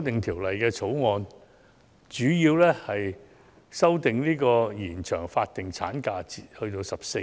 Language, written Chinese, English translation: Cantonese, 《條例草案》的主要修訂，是延長法定產假至14周。, One major amendment proposed by the Bill is the extension of the statutory maternity leave period to 14 weeks